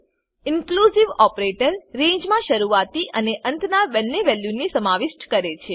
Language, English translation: Gujarati, Inclusive operator includes both begin and end values in a range